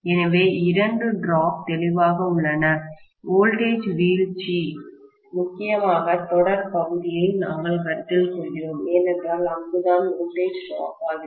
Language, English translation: Tamil, So, there are two drops clearly, voltage drops, we are considering mainly the series portion because that is where the voltage is dropped, right